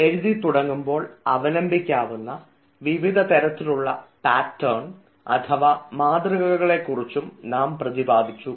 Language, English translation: Malayalam, we also emphasized on the various patterns that can be followed when we start writing